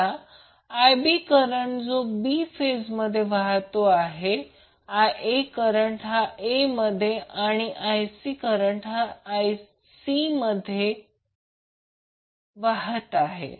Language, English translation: Marathi, Now I b is the current which is flowing in b phase I a in a phase and I c in c phase